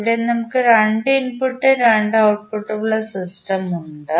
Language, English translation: Malayalam, Here we have 2 input and 2 output system